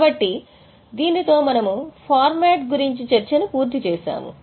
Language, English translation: Telugu, So, with this we have discussed the format